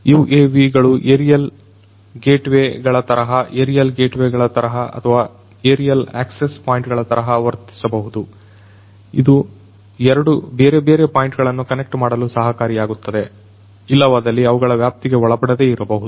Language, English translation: Kannada, In telecommunication industry also UAVs could help in connectivity, UAVs could be like you know aerial gateways, they could act like aerial gateways or aerial access points, which can help in connecting two different points which otherwise may not be within their range